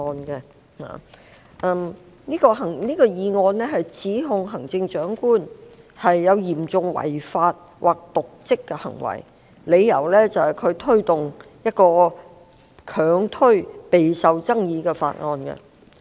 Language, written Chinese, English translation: Cantonese, 這項議案指控行政長官有嚴重違法或瀆職行為，理由是她強推一項備受爭議的法案。, The motion accuses the Chief Executive of serious breaches of law or dereliction of duty on the grounds that she pushed through a highly controversial bill unrelentingly